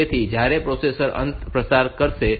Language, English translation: Gujarati, So, when the processor checks at the end that 17